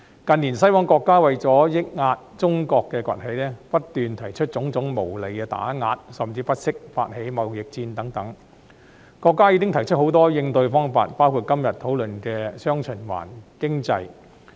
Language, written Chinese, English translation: Cantonese, 近年，西方國家為抑壓中國崛起，不斷提出種種無理的打壓，甚至不惜發起貿易戰，國家已提出很多應對方法，包括今天討論的"雙循環"經濟。, In recent years western countries have been suppressing the rise of China by introducing various unreasonable suppression measures and even waging trade wars and the country has taken many measures in response including the dual circulation economy under discussion today